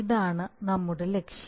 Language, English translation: Malayalam, this is our objective